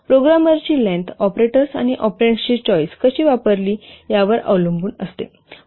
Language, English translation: Marathi, The length of a program it will depend on the choice of the operators and operands used in the program